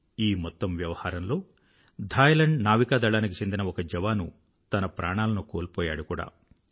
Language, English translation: Telugu, During the operation, a sailor from Thailand Navy sacrificed his life